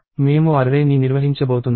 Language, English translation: Telugu, We are going to maintain an array